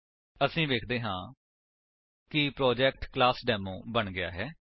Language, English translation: Punjabi, We see that the Project ClassDemo is created